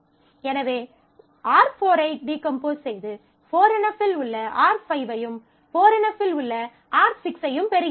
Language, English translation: Tamil, So, you have to decompose, you decompose get R 1 which is in 4 NF and the remaining R 2 which is also not in 4 NF